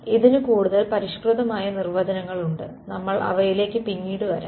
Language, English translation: Malayalam, There are more refined definition of this we will come to them later